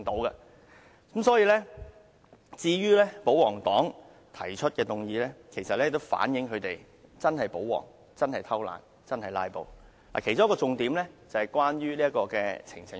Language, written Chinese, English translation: Cantonese, 因此，保皇黨提出的議案，其實反映出他們是真保皇，真躲懶，真"拉布"，而其中一個重點是關於呈請書。, Therefore the resolution moved by the royalists is a reflection of their true nature as royalists who are really lazy and really opt for filibusters . Among the focuses of the resolution is the issue of petition